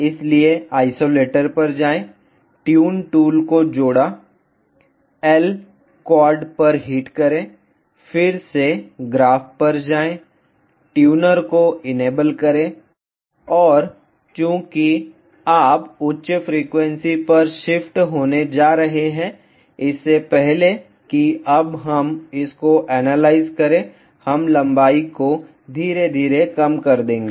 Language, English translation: Hindi, So, go to isolator, added tune tool, hit on L quad, go to the graph again, enable the tuner and since you going to shift to a higher frequency; we will reduce the length slowly till we get now before that let us analyze this